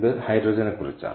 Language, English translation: Malayalam, ok, so what is hydrogen